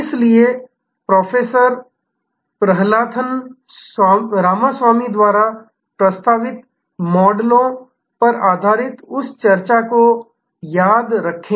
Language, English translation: Hindi, So, remember that discussion based on the models proposed by Professor Prahalathan Ramaswamy